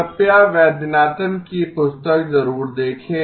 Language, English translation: Hindi, Please do look up Vaidyanathan’s book